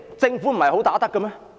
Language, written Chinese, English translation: Cantonese, 政府不是"很打得"的嗎？, Is the Government not a good fighter?